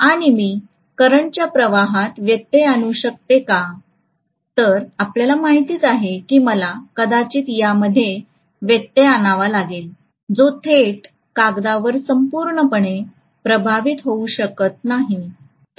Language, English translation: Marathi, So if I can interrupt the flow of current you know I have to probably interrupt it which cannot flow directly as a thoroughfare into the paper